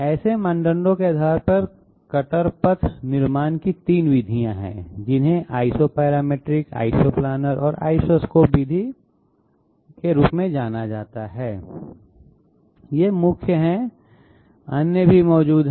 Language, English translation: Hindi, Based on such criteria there are 3 methods of cutter path generation which are known as Isoparamatric, Isoplanar and Isoscallop method, these are the main others also existing